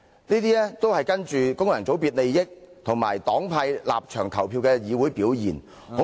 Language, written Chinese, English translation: Cantonese, 這種跟循功能界別利益和黨派立場投票的議會表現，恐怕......, I am afraid that such voting in accordance with the interests of functional constituencies and partisan stances in this Council is